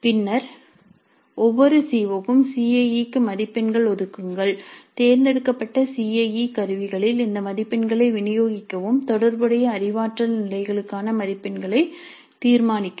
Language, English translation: Tamil, Then for each CO, allocate marks for CIE, distribute these marks over the selected CIE instruments and determine the marks for relevant cognitive levels